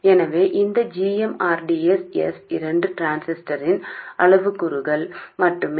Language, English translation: Tamil, So this GM RDS both are just parameters of the transistor